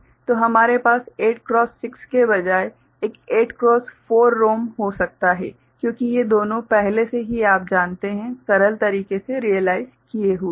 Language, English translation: Hindi, So, we can have a 8 cross 4 ROM instead of 8 cross 6 right because these two are already you know, realized by simpler means ok